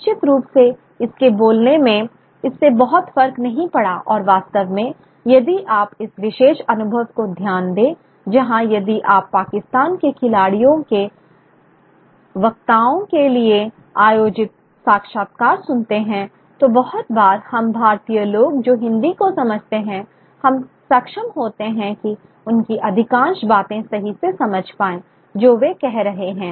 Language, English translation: Hindi, Certainly in the speaking of it, it made not much of a difference and in fact if you can share this particular experience where you if you have a few if you listen to interviews conducted of speakers, of sports people from Pakistan, very often, we would be able to, people in India who understand Hindi would be able to understand exactly what they are saying, by and large most of it